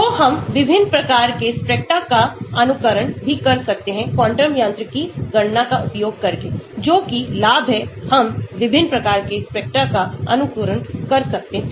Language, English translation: Hindi, So, we can even simulate different types of spectra using a quantum mechanics calculation that is advantage we can simulate different types of spectra